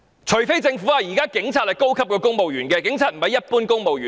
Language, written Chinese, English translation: Cantonese, 除非政府認為警察是高級公務員，不是一般公務員。, Only if the Government regards police officers as superior civil servants instead of ordinary civil servants